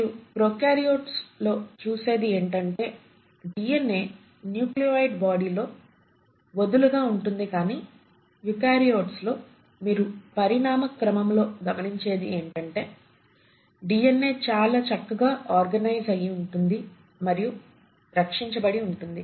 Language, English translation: Telugu, So what you had seen in prokaryotes was DNA was loosely arranged in a nucleoid body but what you find in eukaryotes for the first time in evolution that the DNA is very well organised and it is very well protected